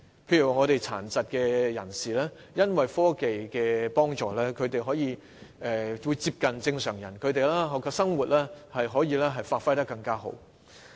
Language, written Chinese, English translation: Cantonese, 譬如殘疾人士在科技的幫助下，可以過接近正常人的生活，發揮所長。, For example with the help of technology people with disabilities can live their life almost like a normal person and exploit their strengths